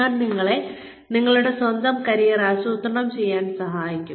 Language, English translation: Malayalam, I will help you, plan your own careers